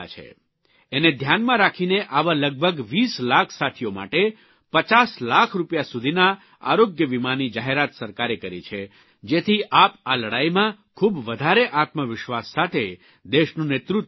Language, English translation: Gujarati, Keeping that in mind , for around 20 lakhs colleagues from these fields, the government has announced a health insurance cover of upto Rs 50 lakhs, so that in this battle, you can lead the country with greater self confidence